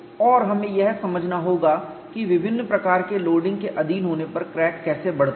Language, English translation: Hindi, And we have to understand how crack grows when it is subjected to different types of loading